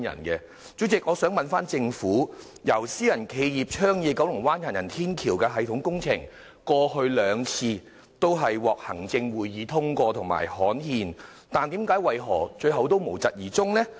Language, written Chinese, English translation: Cantonese, 代理主席，我想問政府，由私人企業倡議的九龍灣行人天橋系統工程，過去兩次均獲行政會議通過和刊憲，但為何最後仍無疾而終？, Deputy President may I ask the Government why did the construction of an elevated walkway system in Kowloon Bay proposed by the private sector despite having been twice approved by the Executive Council and gazetted not come to fruition in the end?